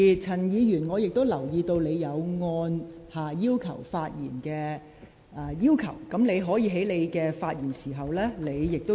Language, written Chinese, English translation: Cantonese, 陳議員，我也留意到你已按下"要求發言"按鈕，你可以在發言時加以說明。, Mr CHAN I also notice that you have already pressed the Request to speak button . You can give an explanation when you speak